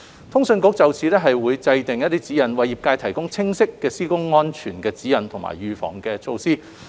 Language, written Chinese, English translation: Cantonese, 通訊局會就此制訂指引，為業界提供清晰的施工安全指引和預防措施。, CA will draw up guidelines to provide the sector with clear work safety guidelines and preventive measures